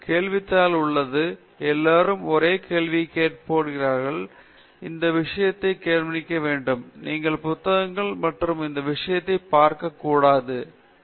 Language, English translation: Tamil, There is a question paper; everybody is given the same question paper; everybody is given some time; nobody should look at each other’s this thing; you should not look at books and this thing; and then you solve some problems